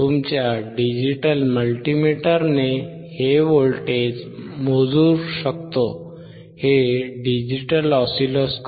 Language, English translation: Marathi, We can measure voltage with your digital multimeter